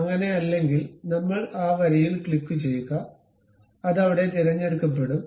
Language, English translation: Malayalam, If that is not the case we go click that line then it will be selected there